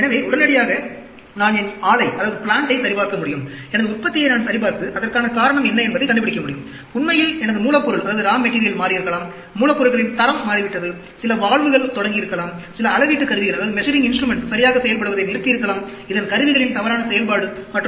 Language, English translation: Tamil, So, immediately, I can check my plant; I can check my manufacturing and find out what is the reason for that; may be my raw material has changed; raw material quality has changed; may be some valves have start, well, some measuring instruments have stopped performing properly; its malfunctioning of instruments and so on, actually